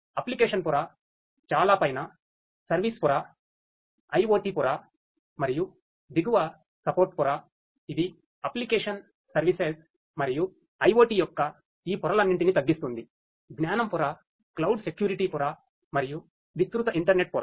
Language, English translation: Telugu, Application layer on the very top, service layer, IoT layer, and the bottom support layer, which cuts across all of these layers of application service and IoT